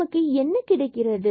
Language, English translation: Tamil, And what do we get